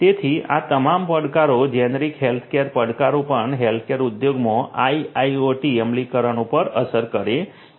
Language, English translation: Gujarati, So, all of these challenges the generic healthcare challenges also have implications on the IIoT implementations in the healthcare industry